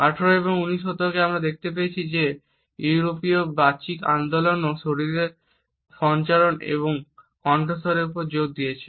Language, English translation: Bengali, In the 18th and 19th centuries we find that the European elocution movement also emphasized on the body movements and vocalizations